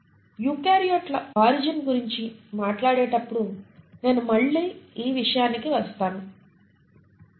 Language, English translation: Telugu, And I will come back to this again when we talk about origin of eukaryotes